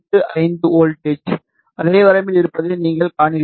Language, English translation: Tamil, 3685 volt which is in the same range